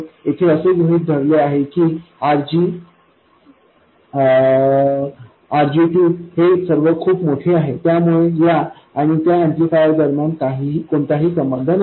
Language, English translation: Marathi, The assumption here is that RG, RG2 are all very large, then there will be no interaction between this amplifier and that one